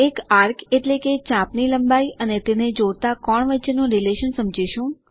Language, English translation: Gujarati, Understand the relationship between length of an arc and the angle it subtends